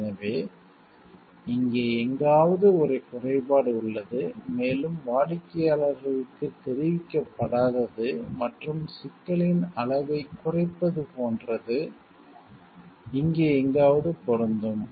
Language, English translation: Tamil, So, it will fit there is a flaw somewhere over here, and like customers are an informed and magnitude of the problem is minimize will fit somewhere over here